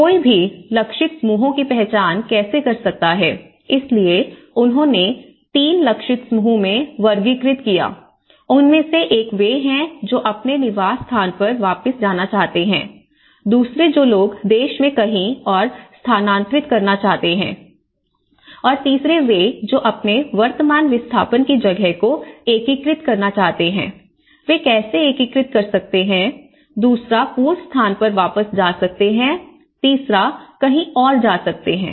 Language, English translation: Hindi, And how do one can identify the target groups, so what they did was, they have broadly classified into 3 target groups, one is those who wish to return to their formal place of residence, those who wish to relocate elsewhere in the country, those who wish to integrate in their current place of displacement, so how they can integrate, the second one is go back to the former place, the third one is go to somewhere else